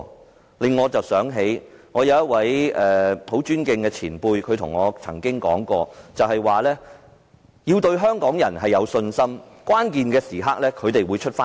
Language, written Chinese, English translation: Cantonese, 這令我想起一位我很尊敬的前輩對我說的一番話，他說要對香港人有信心，到了關鍵時刻，他們便會站起來。, I remember the words said to me by a very respectable predecessor . He said we must have faith in Hong Kong people because they will stand up at critical moments